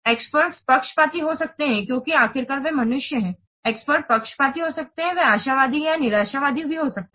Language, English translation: Hindi, Experts may be biased because after all they are human beings, experts may be biased, they may be optimistic or pessimistic, even though they have been decreased by the group consensus